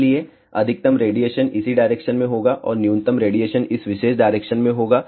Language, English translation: Hindi, So, maximum radiation will be in this direction and minimum radiation will be in this particular direction